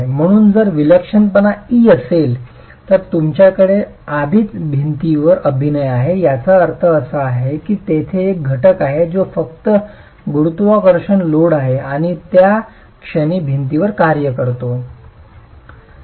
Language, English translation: Marathi, So, if the eccentricity is E, you already have P into E acting in addition to the, P into E acting on the wall, which would mean there is a component that's just the gravity load P plus a moment acting on the wall